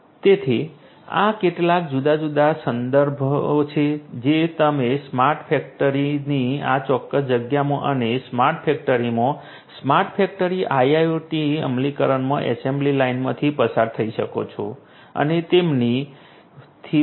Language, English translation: Gujarati, So, these are some of these different references that you could go through in this particular space of the smart factory and also the assembly line in the smart factory IIoT implementation in a smart factory and so on